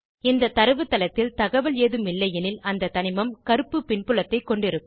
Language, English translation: Tamil, If no data is available in the database, the element will have a black background